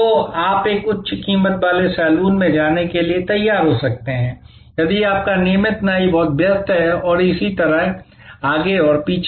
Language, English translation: Hindi, So, you may be prepare to go to a higher priced saloon, if your regular barber is too busy and so on and so forth